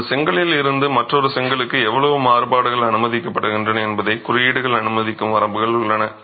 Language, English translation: Tamil, And there are limits that codes typically allow on how much variation is allowed from one brick to another within a lot